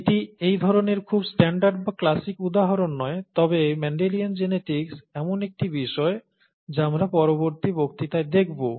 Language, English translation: Bengali, It's not a very standard or classic example of this kind, but Mendelian genetics is something that we would look at in a later lecture